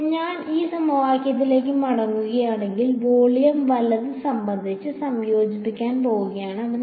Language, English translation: Malayalam, Now, if I go back to this equation, this also was going to get integrated with respect to volume right